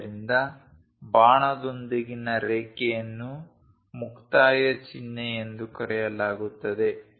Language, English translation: Kannada, So, a line with an arrow is called termination symbol